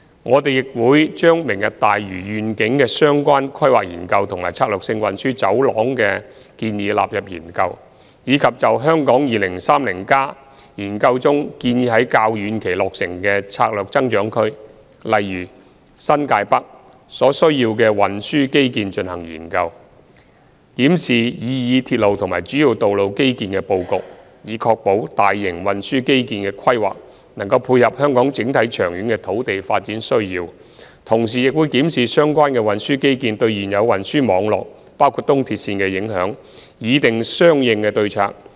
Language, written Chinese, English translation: Cantonese, 我們亦會將"明日大嶼願景"的相關規劃研究及策略性運輸走廊的建議納入研究，以及就《香港 2030+》研究中建議在較遠期落成的策略增長區所需要的運輸基建進行研究，檢視擬議鐵路及主要道路基建的布局，以確保大型運輸基建的規劃能配合香港整體長遠的土地發展需要；同時亦會檢視相關的運輸基建對現有運輸網絡的影響，擬訂相應的對策。, We will consider the planning studies and the recommended strategic transport corridors in relation to the Lantau Tomorrow Vision as well as look into the layout of the proposed railway and major road infrastructure with regard to the transport infrastructure required for the longer - term strategic growth areas of Hong Kong 2030 Study to ensure that the planning of large scale transport infrastructure can meet the needs of the overall long - term land use developments of Hong Kong